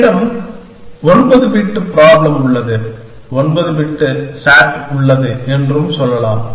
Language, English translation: Tamil, Let us say, I have a 9 bit problem, 9 bit S A T